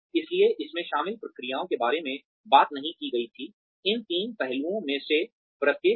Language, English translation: Hindi, So, it did not talk about the processes involved, in each of these three aspects